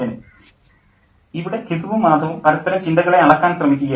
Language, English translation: Malayalam, Gizu and Mada were trying to gauge each other's thoughts